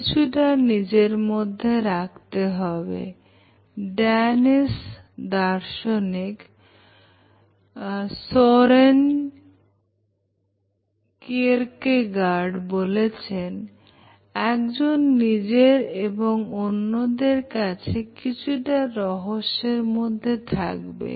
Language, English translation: Bengali, The Danish philosopher Søren Kierkegaard says, quote from him, “One must be a mystery to oneself and to others